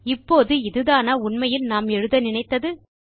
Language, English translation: Tamil, Now is this really what we wanted to write